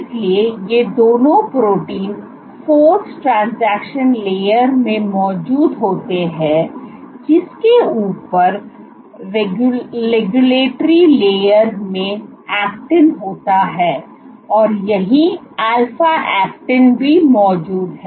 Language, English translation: Hindi, So, both of these proteins are present in the force transaction layer on top of which you have actin in regulatory layer and this is where alpha actin is present